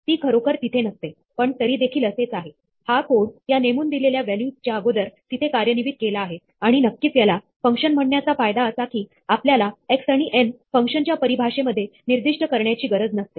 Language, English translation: Marathi, It is not really there, but it is as though, this code is executed by preceding this assignment there and of course, the advantage of calling it as the function is that, we do not have to specify x and n in the function definition; it comes with the call